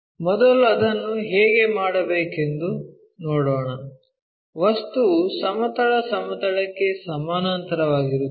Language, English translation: Kannada, Let us see how to do that first the object is parallel to our horizontal plane